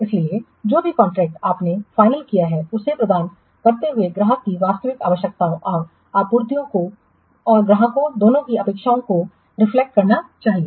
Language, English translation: Hindi, So, whatever the contract you are finally awarding, that should reflect the true requirements of the client and the expectations of both the suppliers and the clients